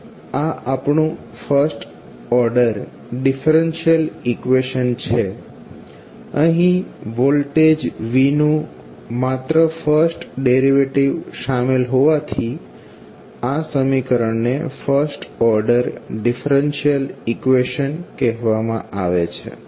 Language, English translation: Gujarati, Now, this is our first order differential equation so, why will say first order differential equation because only first derivative of voltage V is involved